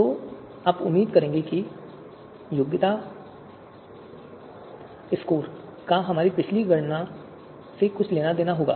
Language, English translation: Hindi, So you would expect that qualification score would have something to do with our previous computation